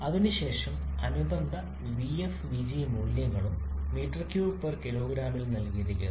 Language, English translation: Malayalam, And then corresponding vf and vg values are also given in meter cube per kg